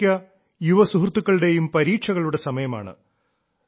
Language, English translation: Malayalam, Most of the young friends will have exams